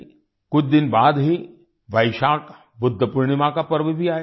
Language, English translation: Hindi, A few days later, the festival of Vaishakh Budh Purnima will also come